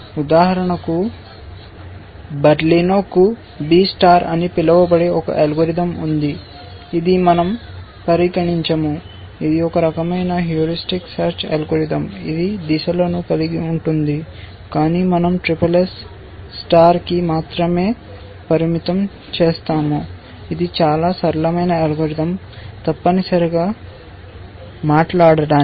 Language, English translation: Telugu, For example, Berlino had a algorithm called B star, which we will not consider, which is also a kind of a heuristic search algorithm which had a sense of direction, but we will limit ourselves to the SSS star, which is a much simpler algorithm to talk about essentially